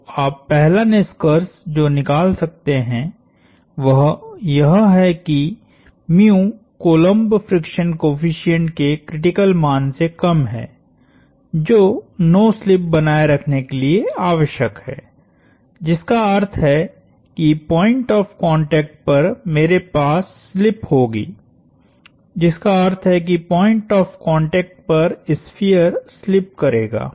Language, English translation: Hindi, The first conclusion you can say is that, mu is less than the critical value of Coulomb friction coefficient; that is needed to sustain no slip, which means I will have slip at the point of contact that means the sphere will slip at the point of contact